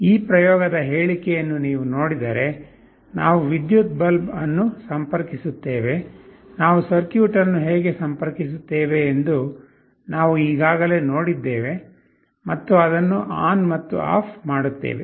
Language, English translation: Kannada, If you see the statement of this experiment, we will be interfacing the electric bulb, we have already seen how we shall be interfacing the circuit, and will be switching it on and off